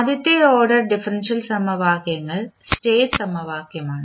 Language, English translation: Malayalam, And the first order differential equations are the state equation